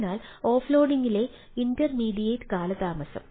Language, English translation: Malayalam, so that means intermediate delays in offloading